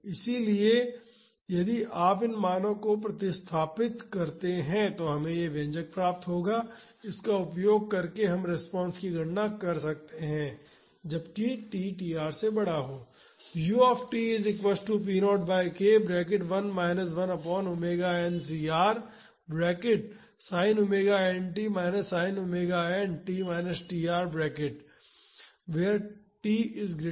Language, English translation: Hindi, So, if you substitute these values we would get this expression, using this we can calculate the response when t is greater than tr